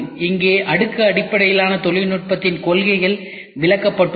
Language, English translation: Tamil, So, here the principles of layer based technology is explained